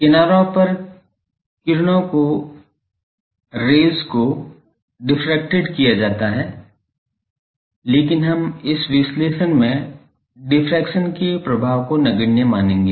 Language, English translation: Hindi, At the edges the rays are diffracted, but we will neglect the effect of diffraction in this analysis